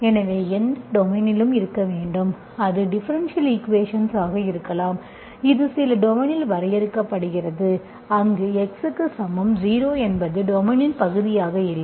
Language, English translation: Tamil, So you should have at any domain, this can be differential equation, it is defined in some domain where x equal to 0 is not part of the domain, it should not be part of it, okay